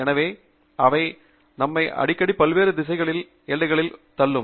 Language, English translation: Tamil, Therefore, we are often pushing the boundaries in various different directions